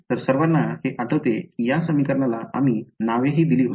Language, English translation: Marathi, So, everyone remember this we had even given names to these equations